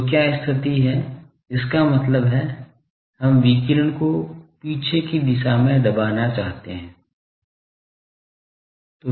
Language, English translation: Hindi, So, what is the condition; that means, we want to suppress the radiation in the backward direction